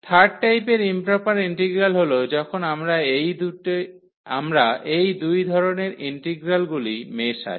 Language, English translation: Bengali, The second type or the third kind of improper integral is when we mix these two types of integrals